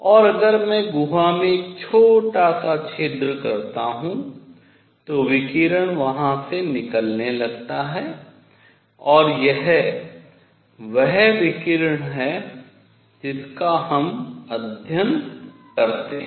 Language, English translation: Hindi, And if I make a small hole in the cavity radiation starts coming out of here and it is this radiation that we study